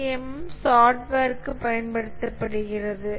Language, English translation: Tamil, CMM is used for software